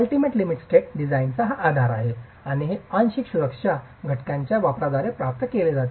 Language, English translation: Marathi, That's the basis of the design at the ultimate limit state and this is achieved by the use of partial safety factors